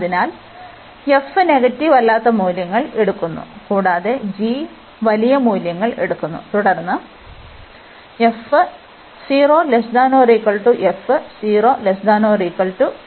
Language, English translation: Malayalam, So, this f is taking non negative values, and g is taking larger values then f